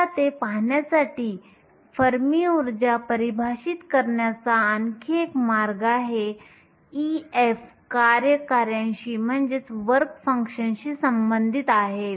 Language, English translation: Marathi, Now to look at it, there is another way of defining fermi energy, e f is related to the work function